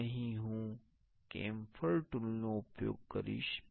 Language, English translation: Gujarati, So, here I will use the camphor tool